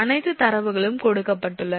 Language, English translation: Tamil, So, all that data are given